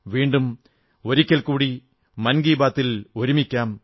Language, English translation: Malayalam, We will meet once again for 'Mann Ki Baat' next time